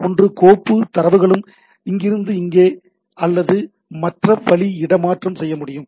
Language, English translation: Tamil, So, either file data can be transfer from here to here or other way, but we have two file system